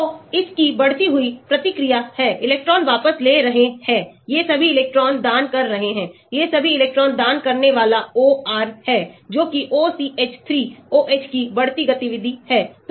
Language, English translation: Hindi, So, there are increasing reactivity of this, electron withdrawing , these are all electron donating, these are all electron donating OR that is OCH 3 ,OH increasing activity